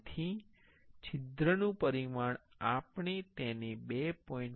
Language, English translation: Gujarati, So, the hole dimension we can take it as 2